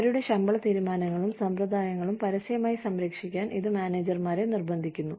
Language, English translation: Malayalam, It forces managers to defend, their pay decisions and practices, publicly